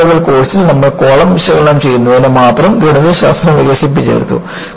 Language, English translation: Malayalam, In the first level course, you have Mathematics developed, only to analyze columns